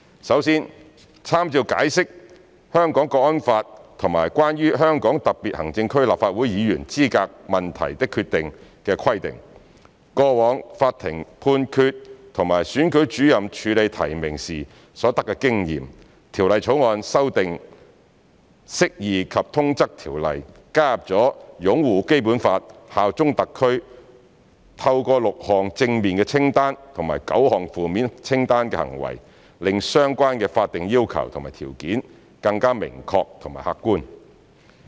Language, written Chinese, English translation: Cantonese, 首先，參照《解釋》、《香港國安法》及《關於香港特別行政區立法會議員資格問題的決定》的規定、過往法庭判決和選舉主任處理提名時所得經驗，《條例草案》修訂《釋義及通則條例》，加入了"擁護《基本法》、效忠香港特區"，透過6項正面清單及9項負面清單行為，令相關的法定要求和條件更加明確和客觀。, First of all with reference to the provisions of the Interpretation the National Security Law and the Decision on Issues Relating to the Qualification of the Members of the Legislative Council of the Hong Kong Special Administrative Region of the Standing Committee of the National Peoples Congress NPCSC past court decisions and the experience gained by the Returning Officer in handling nominations the Bill has amended the Interpretation and General Clauses Ordinance by adding upholding the Basic Law and bearing allegiance to HKSAR . Also the inclusion of the six - item positive list and nine - item negative list has made the relevant statutory requirements and conditions more specific and objective